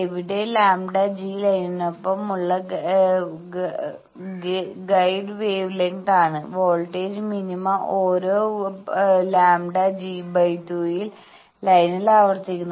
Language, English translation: Malayalam, Where lambda g is a guide wave length along line, voltage minima repeats every lambda g by 2 along line